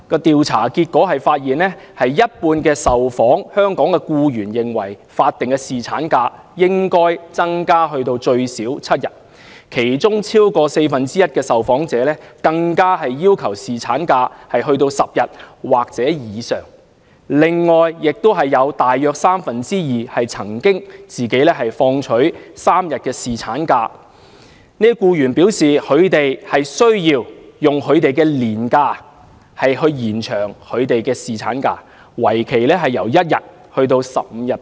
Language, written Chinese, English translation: Cantonese, 調查結果顯示，一半受訪香港僱員認為，法定侍產假應該增至最少7天，當中超過四分之一受訪者更要求侍產假增至10天或以上。此外，有約三分之二曾放取3天侍產假的僱員表示，他們需要使用自己的年假來延長侍產假，為期1天至15天不等。, According to the survey findings half of the Hong Kong employees interviewed thought that statutory paternity leave should be increased to at least seven days; over one fourth of the respondents even demanded an increase of paternity leave to 10 days or above . Around two thirds of employees who had taken three days paternity leave said that they had to take annual leave spanning 1 day to 15 days to prolong the duration of paternity leave